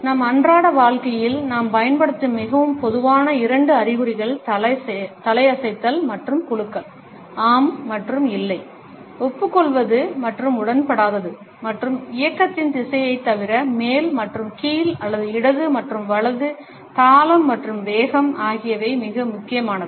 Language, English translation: Tamil, The nod and shake, the probably most common two signs we use in our daily lives are the nod and the head shake; yes and no, agreeing and disagreeing and besides the direction of the motion up and down or left and right rhythm and speed are also very important